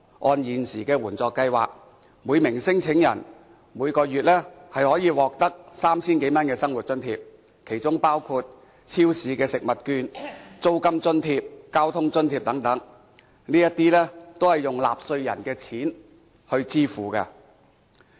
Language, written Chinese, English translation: Cantonese, 按現時援助計劃，每名聲請者每月可以獲得 3,000 多元的生活津貼，其中包括超市食物券、租金津貼、交通津貼等，這些都是用納稅人的錢來支付的。, Under the existing assistance programme each claimant can receive a living allowance of more than 3,000 which includes supermarket coupons rental subsidy and transport allowance and all these are paid by taxpayers